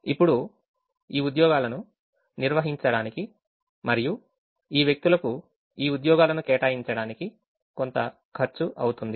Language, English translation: Telugu, now this to to carry out these jobs, it's going to cost something to allocate these jobs to these people